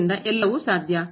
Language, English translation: Kannada, So, anything is possible